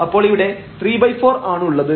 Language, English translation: Malayalam, So, this will be 2